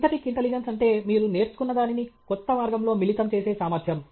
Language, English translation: Telugu, Synthetic intelligence is the ability to combine whatever you have learned in a new way